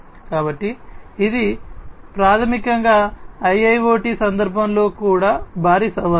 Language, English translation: Telugu, So, this basically is also a huge challenge in the context of IIoT